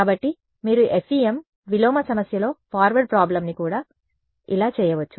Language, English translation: Telugu, So, you could do forward problem in FEM inverse problem like this right and